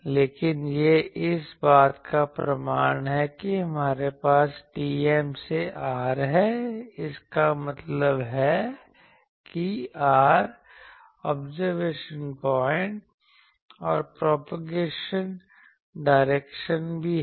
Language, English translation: Hindi, But this is the proof that we have TM to r; that means, to the r is the observation point also the propagation direction